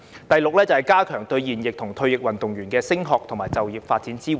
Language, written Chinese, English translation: Cantonese, 第六，加強對現役和退役運動員的升學及就業發展支援。, Sixth enhance the support for serving and retired athletes in pursuing studies and employment